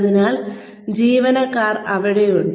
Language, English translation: Malayalam, So, employees are there